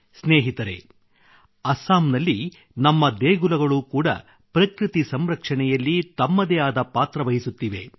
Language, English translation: Kannada, our temples in Assam are also playing a unique role in the protection of nature